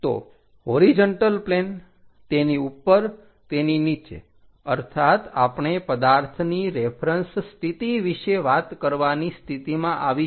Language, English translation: Gujarati, So, a horizontal plane above that below that we talk about position of reference position of that object